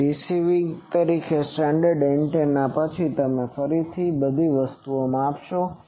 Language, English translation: Gujarati, So, standard antenna as receiver then again you measure same thing